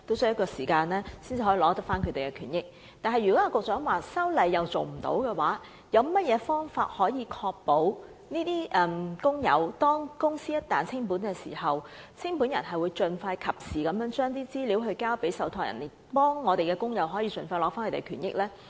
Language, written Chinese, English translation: Cantonese, 不過，如果一如局長所說般無法修例，那麼當局有何方法確保清盤人在公司清盤時可盡快和及時把有關資料交予受託人，以便讓工友盡快取回權益呢？, But if it is impossible to amend the law as asserted by the Secretary what will the authorities do to ensure that when a company liquidates a liquidator will provide the relevant information to a trustee in an expeditious and timely fashion so as to enable employees to get back their benefits as soon as possible?